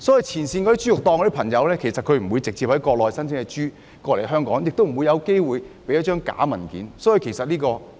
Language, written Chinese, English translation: Cantonese, 前線豬肉檔不會直接從國內申請豬隻來港，也不會有機會行使虛假文件。, The frontline pork stalls will not directly apply for the import of pigs from the Mainland and they will not have the opportunity to file false documents